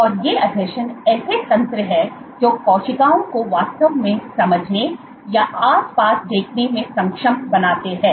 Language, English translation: Hindi, And these adhesions are the mechanisms which enable cells to actually sense or see the surroundings, and how does the cell see